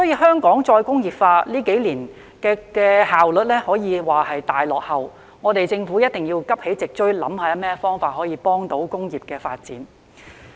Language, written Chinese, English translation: Cantonese, 香港再工業化這幾年以來的效率可說是大落後，政府必須急起直追，想想有何方法幫助工業發展。, The efficiency of Hong Kongs re - industrialization over the past few years can be said to have fallen way behind . The Government must urgently catch up and think about ways to support industrial development